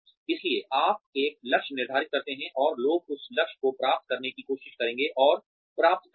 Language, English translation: Hindi, So, you set a goal, and people will try, and achieve that goal